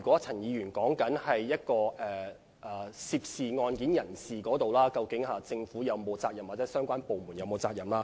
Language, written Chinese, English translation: Cantonese, 陳議員提到涉案人士犯法的問題，並問政府或相關部門是否有責任。, Mr CHAN mentioned people who did not duly comply with the procedures and breached the law and asked whether the Government or the departments concerned should take responsibility